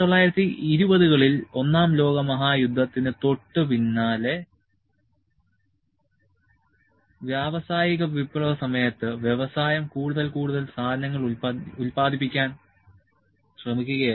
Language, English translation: Malayalam, In 1920s just after World War I, when it was industrial revolution and industry was trying to produce more and more goods